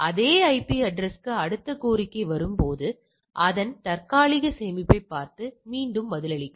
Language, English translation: Tamil, When the next request come for the same IP address look at its cache and reply back